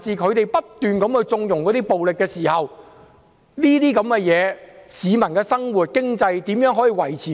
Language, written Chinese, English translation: Cantonese, 他們不斷縱容暴力，市民的生活和經濟受到影響。, If they continue to connive at violence the daily lives and financial conditions of the public will be affected